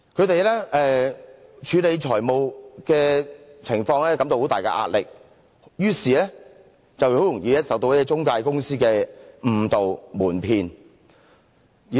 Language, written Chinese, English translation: Cantonese, 由於他們在處理財務情況時感到很大壓力，於是很容易受到中介公司的誤導瞞騙。, They were under great pressure in managing their finance and therefore they became vulnerable to the misleading and deceptive practices of the intermediaries